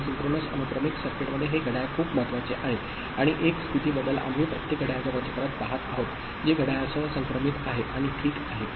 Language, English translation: Marathi, And in synchronous sequential circuit this clock is very important and one state change we are looking in every clock cycle, synchronized with the clock, ok